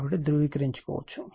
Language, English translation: Telugu, So, you can verify